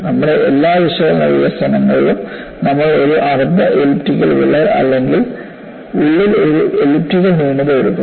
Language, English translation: Malayalam, In all our analytical development, we would take a semi elliptical crack or an elliptical flaw inside